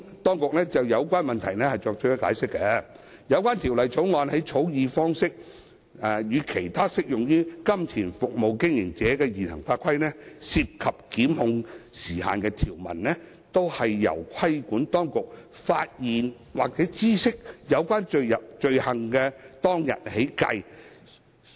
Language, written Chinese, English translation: Cantonese, 當局就有關問題作出解釋，有關《條例草案》的草擬方式，與其他適用於金錢服務經營者的現行法規涉及檢控時限的條文一致，兩者均由規管當局發現或知悉有關罪行當日起計算。, In response to the question the authorities have explained that the formulation adopted in the Bill is consistent with other existing legislation in relation to the time limit for prosecution applicable to MSOs . In both cases the time limit for prosecution runs from the date of discovery or notice of the offence by the regulatory authorities